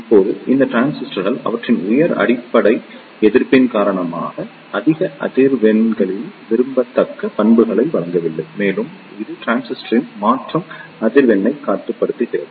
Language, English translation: Tamil, Now these transistors do not provide desirable characteristics at higher frequencies due to their high bass resistance and it limits the transition frequency of the transistor